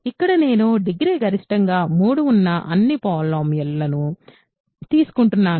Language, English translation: Telugu, So, here I am taking all polynomials whose degree is at most 3